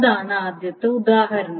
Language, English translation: Malayalam, So that is the first example